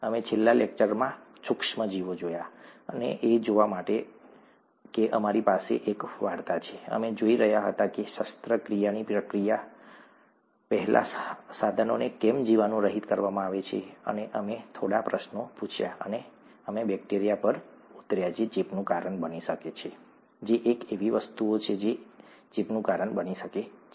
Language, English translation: Gujarati, We saw in the last lecture, the micro organisms, and to see that we had a storyline, we were looking at why instruments are sterilized before a surgical procedure and we asked a few questions and we came down to bacteria which can cause infection, which is one of the things that can cause infection